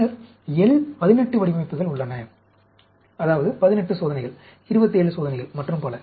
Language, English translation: Tamil, And then, there are L 18 designs; that means, 18 experiments, 27 experiments and so on, actually